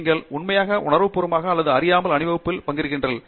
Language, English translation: Tamil, You actually consciously or unconsciously participate in Teamwork